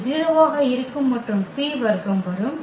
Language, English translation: Tamil, Also this will be 0 and b square will come